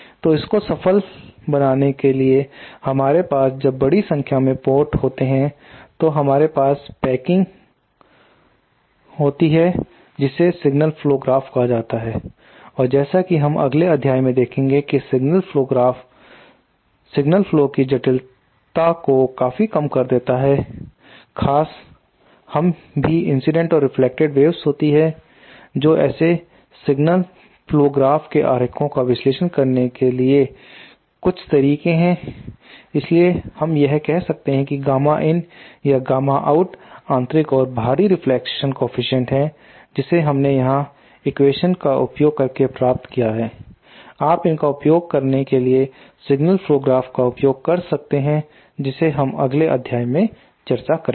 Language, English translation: Hindi, So in order to make life simpler when we have a large number of ports we there is a packing called signal flow graph, and as we shall see in the next module the signal flow graph significantly reduce the complexity of the signal flow especially when we have incident and reflected waves to consider and there are some methods to analyze such signal flow graph diagrams, so that we can find out these say gamma in or gamma out the input and output reflection coefficient which we have derived here using equations you can use simply use a signal flow graph to find it much quickly so that is something we will discuss in the next module